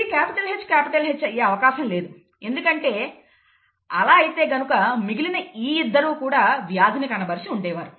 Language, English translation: Telugu, This cannot be capital H capital H, otherwise these 2 people would have also had the disease